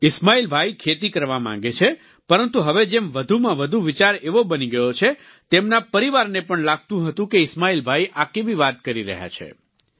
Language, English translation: Gujarati, Ismail Bhai wanted to do farming, but, now, as is these general attitude towards farming, his family raised eyebrows on the thoughts of Ismail Bhai